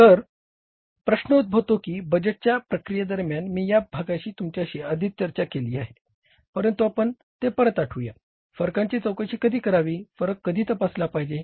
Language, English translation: Marathi, Now question arises, I have already discussed this part with you during the budgeting process but again let's recall it when to investigate the variances